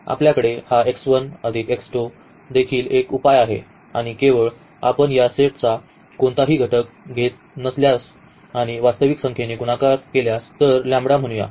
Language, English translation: Marathi, So, we have this x 1 plus x 2 is also a solution and not only this if we take any element of this set and if we multiply by a real number, so, let us say lambda